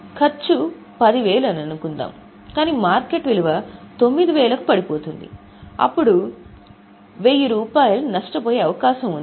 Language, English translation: Telugu, However, suppose the cost is 10 but market value falls to 9,000, then there is a possibility of loss of 1,000